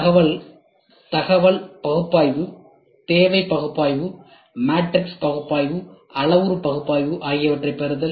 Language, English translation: Tamil, So, information analysis; so, this need analysis; then matrix analysis; then parametric analysis